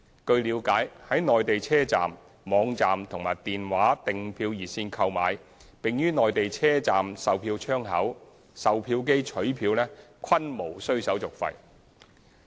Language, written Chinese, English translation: Cantonese, 據了解，在內地車站、網站和電話訂票熱線購票並於內地車站售票窗口、售票機取票均無須手續費。, As far as we understand no service fee will be charged for purchases of train tickets at Mainland stations or through the Mainland website and ticketing hotline and for the subsequent pick - up at ticketing counters or ticket vending machines in Mainland stations